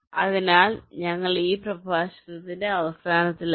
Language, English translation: Malayalam, so with this we come to the end of this lecture, thank you